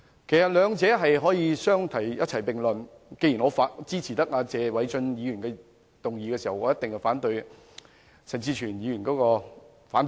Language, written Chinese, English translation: Cantonese, 其實兩者可以相提並論，既然我支持謝偉俊議員的議案，我一定也反對陳志全議員的反對議案。, Since I support the motion of Mr Paul TSE I definitely oppose the motion of dissent of Mr CHAN Chi - chuen